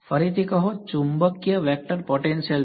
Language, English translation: Gujarati, Say again, the magnetic vector potential is